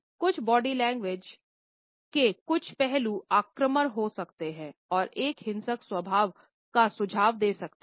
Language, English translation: Hindi, Whereas, some aspects of body language can be aggressive and suggest a violent temper